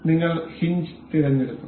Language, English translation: Malayalam, We will select hinge